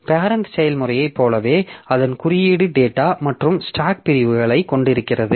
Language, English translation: Tamil, So, like the parent process, so it has, it had its code data and stack segments